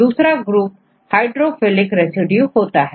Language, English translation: Hindi, So, they are hydrophilic residues